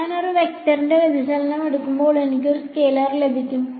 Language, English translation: Malayalam, And when I take a divergence of a vector I get a scalar